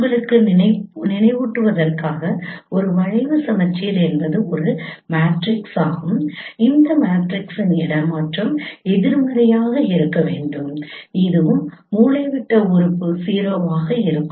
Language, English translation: Tamil, Just to remind you is a skew symmetric is a matrix where the transpose of this matrix should be the negative of this one and the diagonal element would be zero